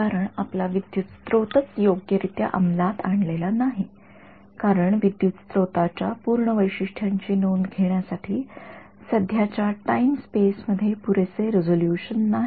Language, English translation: Marathi, Because your current source only is not being implemented correctly right its not there is not enough resolution in the time step there to capture the full characteristics of the current source right